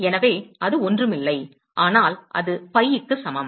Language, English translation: Tamil, So, that is nothing, but that is equal to pi